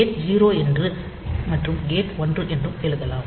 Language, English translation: Tamil, So, gate equal to 0 and gate equal to 1